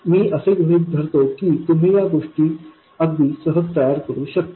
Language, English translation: Marathi, So, I assume that you can work out these things quite easily by yourselves